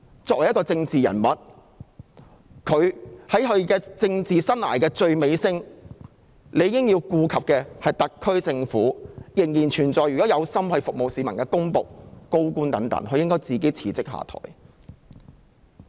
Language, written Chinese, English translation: Cantonese, 作為政治人物，她在政治生涯的最尾聲，如果顧及特區政府及仍有意服務市民的公僕和高官等，她應該自行辭職下台。, As a political figure at the very end of her political career for the sake of the SAR Government and those civil servants and senior officials still wishing to serve the public she should resign and step down of her own accord